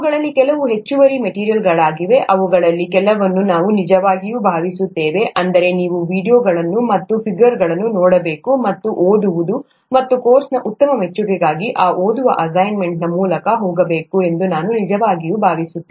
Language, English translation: Kannada, Some of those would just be additional material, some of those we really feel, that means I really feel that you should see those videos and those figures and, and go through those reading assignments for a good appreciation of the course